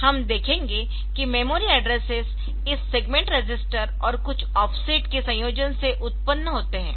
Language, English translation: Hindi, So, will see that that memory addresses are generated by a combination of this segment register and some offsets